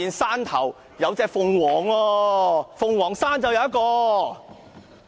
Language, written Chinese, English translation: Cantonese, 是火鳳凰，鳳凰是動物嗎？, Is phoenix an ordinary animal?